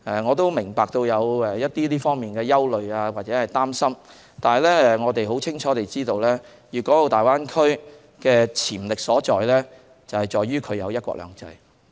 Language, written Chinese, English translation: Cantonese, 我明白這方面的憂慮或擔心，但我們很清楚知道粵港澳大灣區的潛力所在，是由於它有"一國兩制"。, I understand their worries and concerns in this aspect but we clearly know that the potential of the Greater Bay Area lies in one country two systems